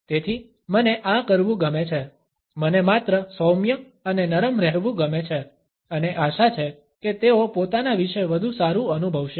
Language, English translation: Gujarati, So, what I like to do is; I like to just be gentle and soft and hopefully they will feel better about themselves